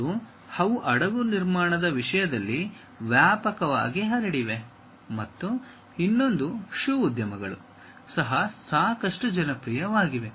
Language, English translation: Kannada, And, they are widespread in terms of shipbuilding and the other one is shoe industries also is quite popular